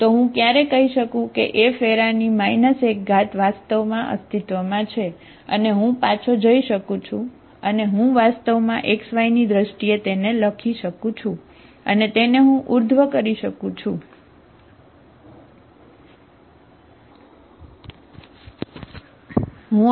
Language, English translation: Gujarati, So when can I say that F inverse actually exist, I can go back, I can actually write in terms of xy in terms of, I can have inverse, okay